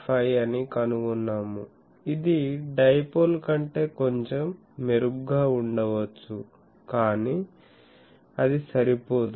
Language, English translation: Telugu, 5, which may be bit better than dipole, but it is not sufficient